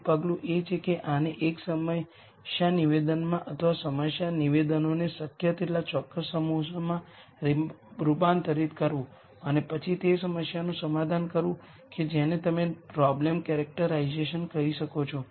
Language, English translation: Gujarati, Step one is to convert this into one problem statement or set of problem statements as precise as possible and then to solve that problem you do what I would call as problem characterization